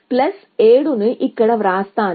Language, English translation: Telugu, So, I will write plus 700 here